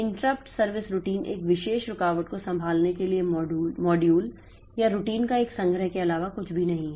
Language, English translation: Hindi, Interrupt is nothing but a collection of modules or routines with a responsible for handling one particular interrupt